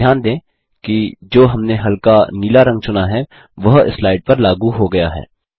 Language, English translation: Hindi, Notice, that the light blue color we selected is applied to the slide